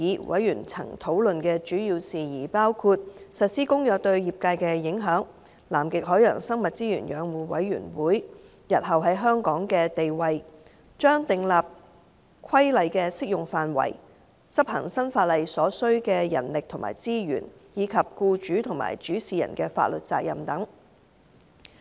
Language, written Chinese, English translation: Cantonese, 委員曾討論的主要事宜包括：實施《公約》對業界的影響、南極海洋生物資源養護委員會日後在香港的地位、將訂立的規例的適用範圍、執行新法例所需的人力及資源，以及僱主及主事人的法律責任等。, The major issues discussed by members of the Bills Committee included the impact of the implementation of the Convention to the industry; the future status of the Commission for the Conservation of Antarctic Marine Living Resources in Hong Kong; application of the regulations to be made; the manpower and resources for enforcement of the new law; and the liability of employers and principals and so on